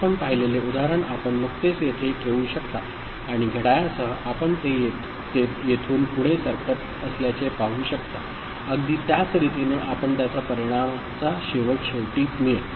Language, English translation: Marathi, The example that you had seen you can just put over here and with the clock you can see it moves from exactly the same manner and the same result will be found at the end, right